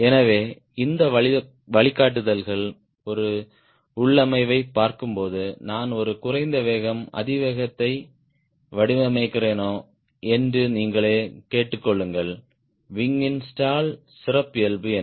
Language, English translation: Tamil, so when you see a configuration these are the guidelines you ask yourself: am i designing a low speed, high speed, what sort of stall characteristic of the wing